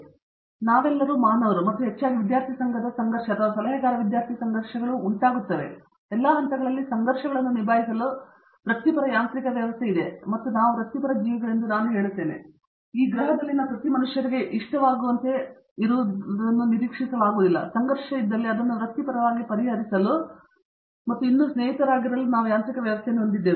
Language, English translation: Kannada, So, we are all human beings and very often we see conflicts arise, whether it is a student student conflict or advisor student conflict, don’t be unnerved by that, there are professional mechanism set up to handle conflicts at all levels and I will say that we are also professional beings, so I mean I don’t expect to be likeable to every human beings on this planet and if there is a conflict we have a mechanism to professionally resolve it move on and still be friends